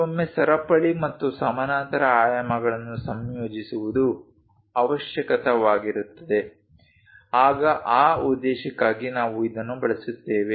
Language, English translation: Kannada, Sometimes it is necessary to combine the chain and parallel dimensions for that purpose we use it